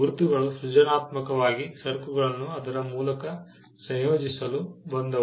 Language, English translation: Kannada, Marks came as a way to creatively associate the goods to its origin